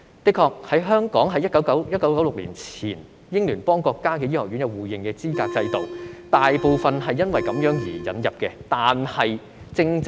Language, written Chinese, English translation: Cantonese, 的確，香港在1996年前與英聯邦國家的醫學院有資格互認制度，大部分非本地培訓的醫生透過這個制度引入。, Indeed a mutual recognition mechanism for medical school qualifications among Commonwealth countries and Hong Kong was in place before 1996 through which most non - locally trained doctors were brought in